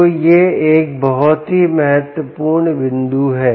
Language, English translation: Hindi, ok, so thats a very important point